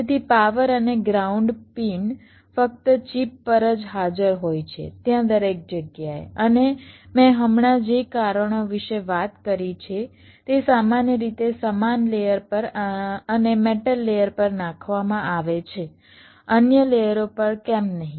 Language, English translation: Gujarati, so the power and ground pins are only present across the chip, there everywhere, and because of the reasons i just now talked about, they are typically laid on the same layer and on the metal layer, not on the other layers